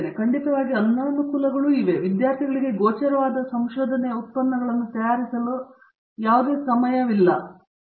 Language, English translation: Kannada, Of course there are disadvantages, that the student has no time to prepare the visible research outputs, this is the only hassle